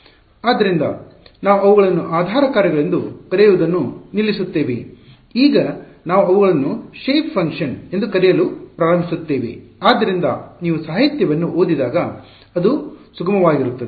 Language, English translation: Kannada, So, we will stop calling them basis functions now we will we start calling them shape functions so that when you read the literature it is smooth right